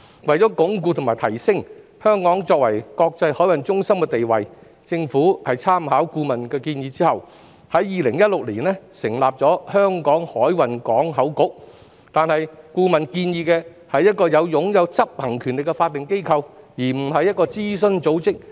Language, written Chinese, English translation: Cantonese, 為鞏固和提升香港作為國際海運中心的地位，政府在參考顧問的建議後，在2016年成立了香港海運港口局，但顧問所建議的是一個擁有執行權力的法定機構，而不是一個諮詢組織。, In order to consolidate and enhance Hong Kongs status as an international maritime centre the Government established the Hong Kong Maritime and Port Board in 2016 based on consultancy advice but what the consultant recommended was a statutory body with executive powers rather than an advisory body